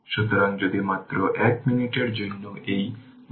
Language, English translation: Bengali, So, if you go through this right just 1 minute